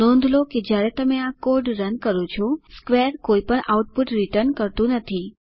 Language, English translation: Gujarati, Note that when you run this code, square returns no output